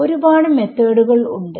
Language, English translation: Malayalam, Various methods are there